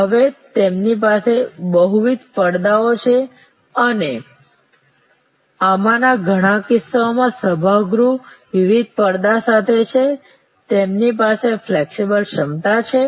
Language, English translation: Gujarati, Now, they have multiple screens and in many of these cases these part auditorium with different screens, they have flexible capacity